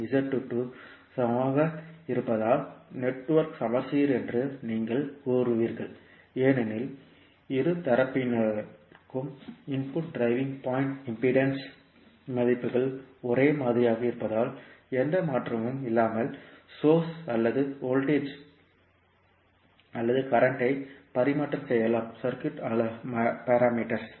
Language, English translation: Tamil, Since Z11 and Z22 are equal, so you will say that the network is symmetrical and because of the values that is input driving point impedance for both sides are same means the source or the voltage or current on both sides can be interchanged without any change in the circuit parameters